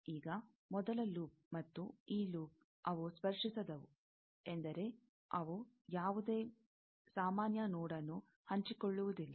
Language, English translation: Kannada, Now, first loop, and this loop, they are non touching means that they do not share any common node